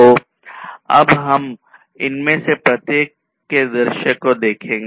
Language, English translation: Hindi, So, let us now look at the view of each of these